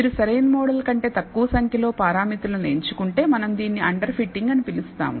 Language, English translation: Telugu, If you choose less number of parameters than the optimal model, we call this under fitting